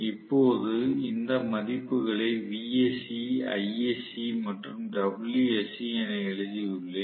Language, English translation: Tamil, That’s why I have written these values as vsc, isc and wsc